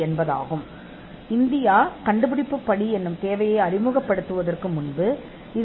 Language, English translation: Tamil, Now, earlier before India introduced the inventive step requirement